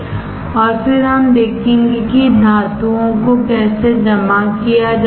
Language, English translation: Hindi, And then we will see how metals are deposited